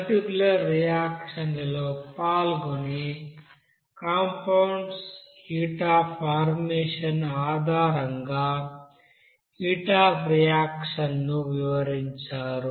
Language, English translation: Telugu, Also, we have described the heat of reaction based on you know heat of formation for the compounds which are taking part in particular reactions